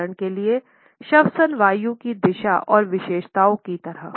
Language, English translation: Hindi, For example, like the direction and characteristics of respiratory air